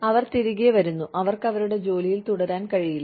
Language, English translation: Malayalam, They come back, and they are unable to continue, with their jobs